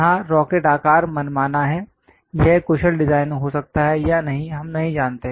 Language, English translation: Hindi, Here the rocket shape is arbitrary, whether this might be efficient design or not, we may not know